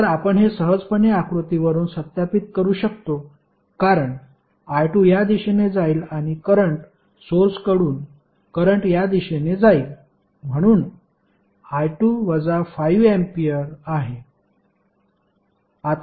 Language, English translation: Marathi, So, this you can easily verify from the figure because I 2 will flow in this direction and the current will from the current source will flow in this direction, so i 2 would be nothing but minus of 5 ampere